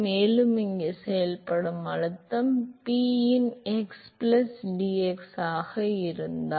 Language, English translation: Tamil, And if the pressure that is acting here is p of x plus dx